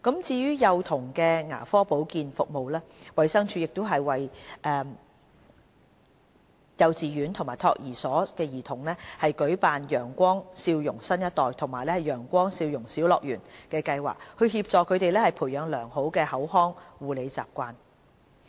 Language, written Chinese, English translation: Cantonese, 至於幼童的牙科保健服務，衞生署專為幼稚園及託兒所的兒童舉辦"陽光笑容新一代"和"陽光笑容小樂園"計劃，協助他們培養良好的口腔護理習慣。, Regarding the dental care services for young children DH has launched the Brighter Smiles for the New Generation and the Brighter Smiles Playland schemes specially for kindergarten and nursery students in order to help them develop proper oral health habits